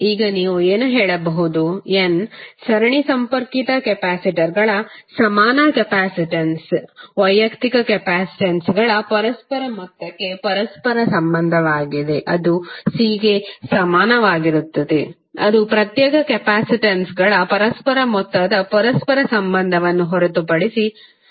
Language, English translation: Kannada, So now what you can say, equivalent capacitance of n series connected capacitors is reciprocal of the sum of the reciprocal of individual capacitances, that is c equivalent is nothing but reciprocal of the sum of the reciprocal of the individual capacitances, right